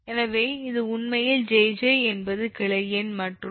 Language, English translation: Tamil, so this is actually given: jj is branch number and k equal to one to njj